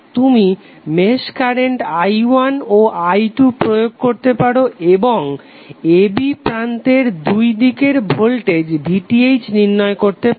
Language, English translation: Bengali, You can apply mesh current i1 and i2 across these two meshes and you need to find out the voltage VTh across terminal a b